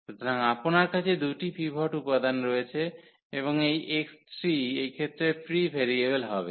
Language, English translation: Bengali, So, you will have 2 pivot elements and this x 3 will be the free variable in this case